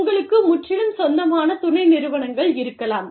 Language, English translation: Tamil, You could have, wholly owned subsidiaries